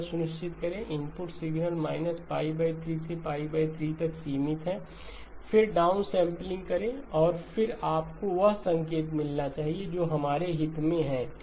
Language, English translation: Hindi, Make sure that input signal is band limited to pi by 3 to pi by 3 and then do the down sampling and then you should get the signal that is of interest to us okay